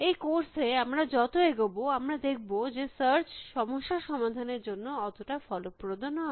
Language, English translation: Bengali, As we move along in the course, we will see that search by itself is not a very efficient means of solving problem